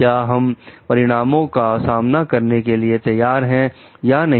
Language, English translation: Hindi, This, are we ready to face the consequence or not